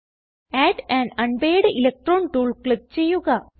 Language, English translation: Malayalam, Click on Add an unpaired electron tool